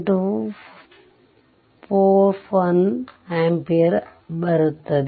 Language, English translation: Kannada, 241 ampere right